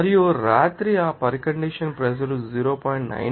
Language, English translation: Telugu, And at night that condition is pressure is 0